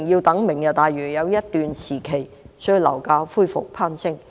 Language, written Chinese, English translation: Cantonese, 待"明日大嶼"落成需要一段時間，所以樓價恢復攀升。, As it will take some time before the implementation of Lantau Tomorrow property prices rise again